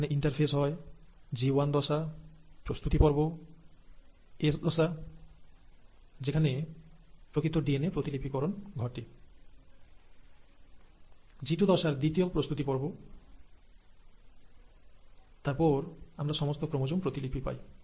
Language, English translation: Bengali, So this is where the interphase happens, there was a G1 phase, the preparatory phase, the S phase of actual DNA replication, the second preparatory phase of G2, and then, we had all the chromosomes ready and duplicated